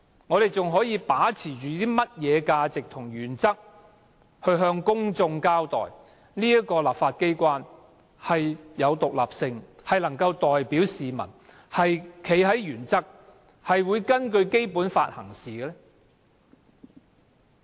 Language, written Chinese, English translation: Cantonese, 我們還可以把持甚麼價值和原則，向公眾證明立法機關具有獨立性，能夠代表市民，堅持原則，並會根據《基本法》行事？, What values and principles can we hold on to in order to show to the public that the legislature is independent and is able to represent the public adhere to its principles and act in accordance with the Basic Law?